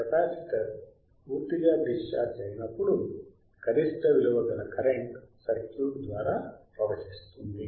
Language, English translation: Telugu, When the capacitor is fully discharged, the maximum current flows through the circuit correct